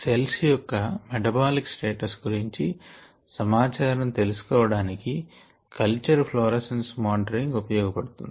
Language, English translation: Telugu, the monitoring of culture florescence is useful for obtaining information on the metabolic status of cells